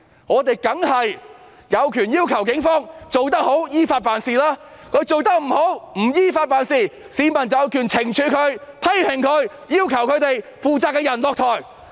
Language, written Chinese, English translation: Cantonese, 我們當然有權要求警方做得好、依法辦事，如果他們做得不好、不依法辦事，市民有權懲處他們、批評他們、要求他們的負責人下台。, We certainly have the right to demand the Police to do a good job and act in accordance with the law; and if they fail to do so the public has the right to penalize them criticize them and demand the persons in charge to step down